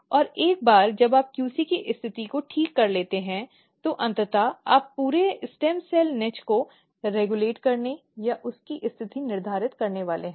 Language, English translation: Hindi, And once you fix the position of QC, eventually you are going to regulate or positioning of entire stem cell niche